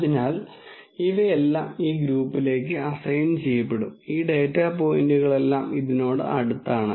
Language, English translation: Malayalam, So, all of this will be assigned to this group and all of these data points are closer to this